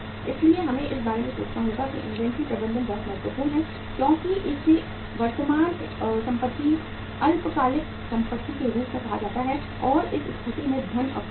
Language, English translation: Hindi, So we will have to think about that inventory management is very very important as far as it is called as a current asset, short term assets, and funds are blocked in this asset